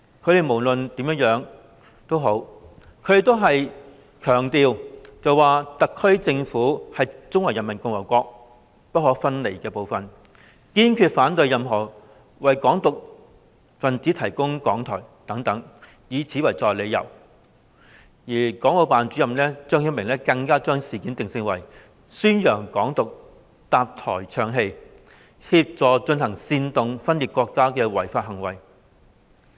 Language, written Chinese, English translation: Cantonese, 他們都強調"特區政府是中華人民共和國不可分離部分，堅決反對任何為'港獨'分子提供講台"等，以此作為理由，而國務院港澳事務辦公室主任張曉明更把事件定性，認為是為宣揚"港獨"搭台唱戲及協助進行煽動分裂國家的違法行為。, In explaining their stance they made emphatic statements such as the SAR Government is an inalienable part of the Peoples Republic of China and we strongly oppose any attempt to provide a platform for advocates of Hong Kong independence . Mr ZHANG Xiaoming Director of the Hong Kong and Macau Affairs Office of the State Council even definitively ruled the act as unlawful as a platform was provided to advocate Hong Kong independence and assist in the secession and sedition against the country